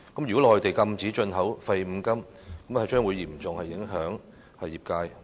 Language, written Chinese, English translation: Cantonese, 如果內地禁止進口廢五金類，將會嚴重影響業界。, The Mainlands import ban on scrap metal will seriously affect the industry